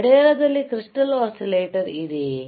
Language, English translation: Kannada, Is there a crystal is there an oscillator in a watch